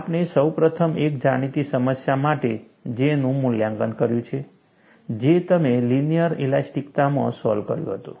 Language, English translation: Gujarati, We have first evaluated J for a known problem, which you had solved in the linear elasticity